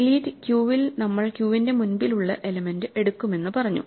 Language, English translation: Malayalam, In delete queue we just said we take the element at the head of the queue